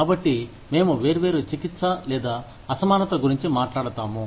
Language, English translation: Telugu, So then, we talk about, disparate treatment or disparate